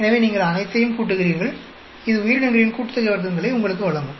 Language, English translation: Tamil, So, you add up all of them; that will give you the organism sum of squares